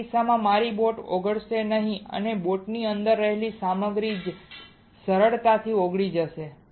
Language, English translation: Gujarati, In this case my boat will not melt and only the material within the boat will melt easy